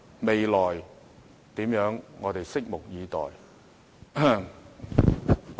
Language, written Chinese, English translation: Cantonese, 未來會怎樣，我們拭目以待。, We just need to wait and see how the future unfolds